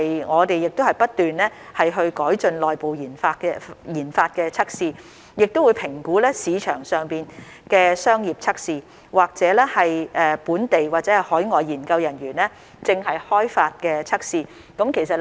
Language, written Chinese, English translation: Cantonese, 我們現已不斷改進內部研發的測試，亦會評估市場上的商業測試，或本地或海外研究人員正在開發的測試。, Apart from constantly improving the self - developed in - house testing we will also evaluate commercial tests available in the market or under development by local or overseas researchers